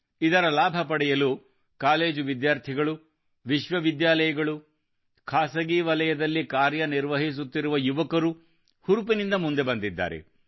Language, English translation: Kannada, And to avail of its benefits, college students and young people working in Universities and the private sector enthusiastically came forward